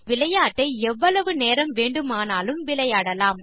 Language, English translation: Tamil, Continue playing this game as long as you wish